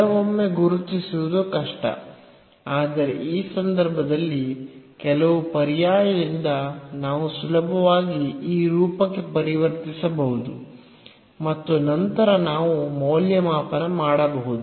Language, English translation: Kannada, So, sometimes difficult to recognize, but in this case it is not so difficult we by some substitution we can easily convert into this form and then we can evaluate